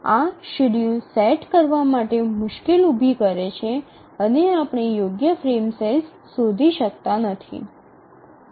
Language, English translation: Gujarati, This make it difficult for setting the schedule and we may not be able to find the correct frame size